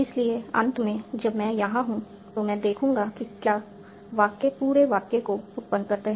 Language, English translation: Hindi, So finally, when I am here, I will see if the sentence S generates the whole sentence